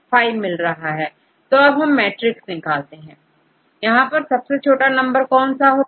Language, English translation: Hindi, So, now, I get this matrix; from this matrix which one is the lowest number